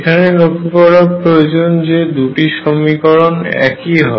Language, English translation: Bengali, Notice that the 2 equations are exactly the same